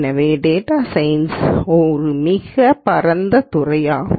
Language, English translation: Tamil, So, a data science is a very vast field